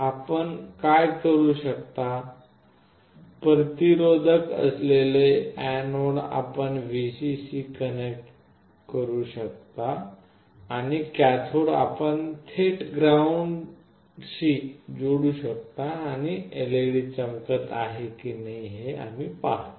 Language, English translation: Marathi, What you can do, the anode with a resistance you can connect to Vcc and the cathode you can directly connect to ground, and we see whether the LED glows or not